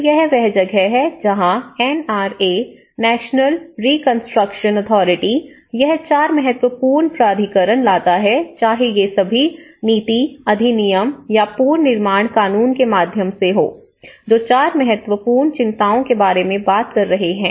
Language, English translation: Hindi, So, that is where the NRA, the National Reconstruction Authority, it brings 4 important because all these whether through the policy, the act or the reconstruction bylaws, they are talking about 4 important concerns